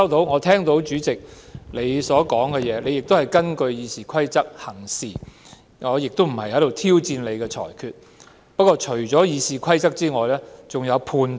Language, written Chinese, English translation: Cantonese, 我聽到主席表示自己根據《議事規則》行事，而我亦無意挑戰你的裁決，但在《議事規則》以外還有判斷的。, I have heard the Presidents assertion that you have acted on the basis of the Rules of Procedure . I have no intention to challenge your decision but I wish to say that besides the Rules of Procedure personal judgment is also at play